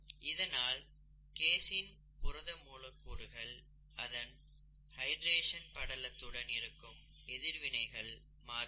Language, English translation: Tamil, Therefore the casein molecules, the casein protein molecules there have different interactions with their hydration layer